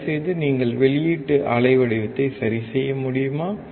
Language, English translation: Tamil, Can you please adjust the output wave form